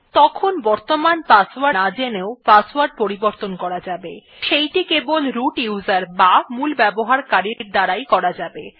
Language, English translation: Bengali, Then also the password can be changed without knowing the current password, but that can only be done by the root user